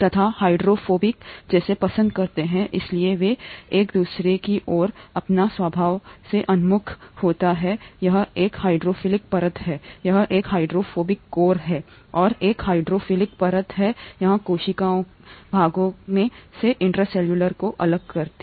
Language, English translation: Hindi, And hydrophobic, like likes like, therefore they orient towards each other and by their very nature there is a hydrophilic layer here, there is a hydrophobic core here, and a hydrophilic layer here, separating the intracellular from the extracellular parts